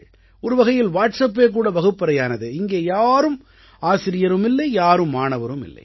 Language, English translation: Tamil, So, in a way WhatsApp became a kind of classroom, where everyone was a student and a teacher at the same time